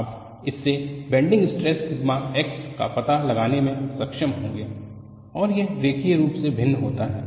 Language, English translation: Hindi, You would be able to find out the bending stress sigma x from this, and this varies linear